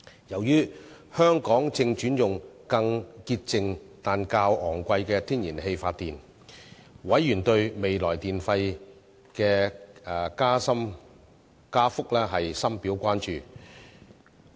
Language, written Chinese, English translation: Cantonese, 由於香港正轉用更潔淨但較昂貴的天然氣發電，委員對未來電費的加幅深表關注。, Noting that Hong Kong was transforming to use the cleaner but more expensive natural gas for power generation members expressed grave concern about the future electricity tariff increases